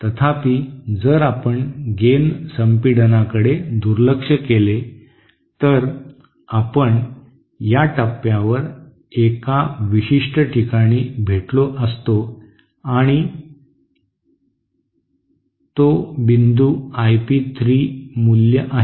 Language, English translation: Marathi, However, if you ignore the gain compression, then there would have met at this point, at a certain point and that point is the I P 3 value